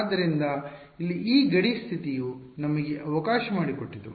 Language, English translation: Kannada, So, this boundary condition over here was let us